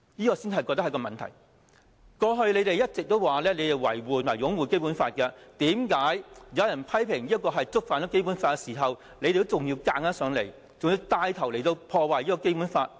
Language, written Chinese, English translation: Cantonese, 建制派議員過去一直說要維護及擁護《基本法》，為何有人批評這觸犯《基本法》的時候，他們還硬要牽頭破壞《基本法》？, Members of the pro - establishment camp have been defending and upholding the Basic Law . When this amendment is being criticized for breaching the Basic Law why do they persist in taking the lead to go against the Basic Law?